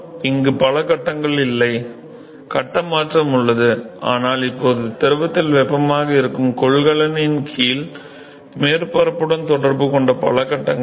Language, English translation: Tamil, There is no multiple phases here; there is phase change, but no multiple phase that is in contact with the bottom surface of the container which is now heat in the fluid